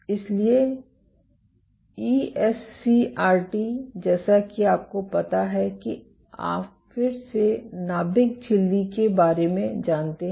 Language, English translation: Hindi, So, ESCRT mediates you know again resealing of the nuclear membrane